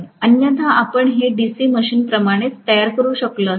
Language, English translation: Marathi, Otherwise we could have constructed it the same way as DC machine